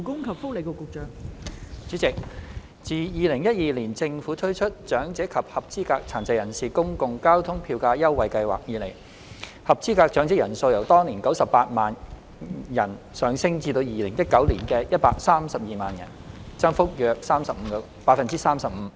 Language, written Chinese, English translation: Cantonese, 代理主席，自2012年政府推出長者及合資格殘疾人士公共交通票價優惠計劃以來，合資格長者人數由當年的98萬人上升至2019年的132萬人，增幅約 35%。, Deputy President since the Government Public Transport Fare Concession Scheme for the Elderly and Eligible Persons with Disabilities the Scheme was introduced in 2012 the number of eligible elderly persons has increased from 980 000 that year to 1 320 000 in 2019 representing an increase of about 35 %